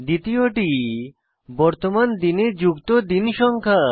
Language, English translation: Bengali, Second is the number of days to be added to the present day